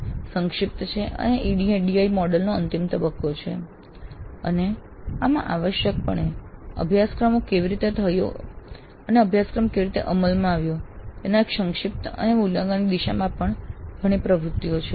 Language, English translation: Gujarati, This is summative and this is the final phase of the ID model and this essentially has again several activities towards summative evaluation of how the course has taken place, how the course was implemented